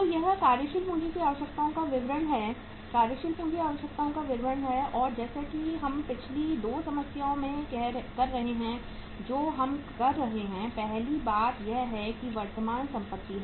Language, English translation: Hindi, So it is statement of working capital requirements, statement of working capital requirements and as we are doing in the past 2 problems we have been doing, first thing is the say current assets